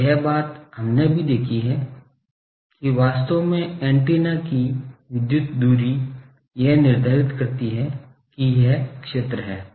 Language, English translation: Hindi, And this thing we have also seen that actually the electrical distance of the antenna determines it is area